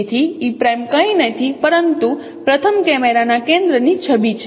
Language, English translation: Gujarati, So E prime is nothing but image of the camera center of the first camera